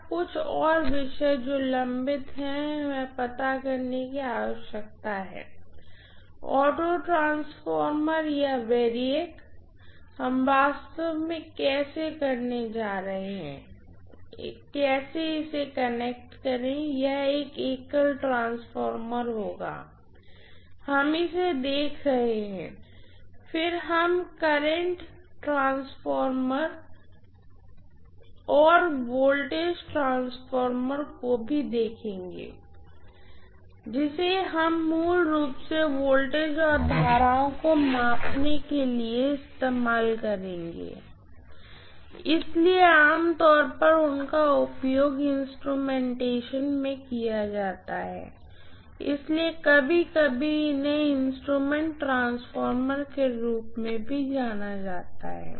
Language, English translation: Hindi, Now a few more topics that are pending that we need to address are, autotransformer or variac, how we are going to really, you know connect this will be a single winding transformer, we will be looking at this, then we will also be looking at current transformer and potential transformer which we would use basically for measuring voltages and currents, so generally they are used in instrumentation so sometimes they are also known as instrument transformers